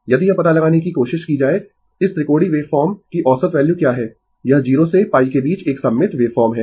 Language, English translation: Hindi, If you try to find out what is the average value of this triangular wave form ah, it is a symmetrical wave form in between 0 to pi right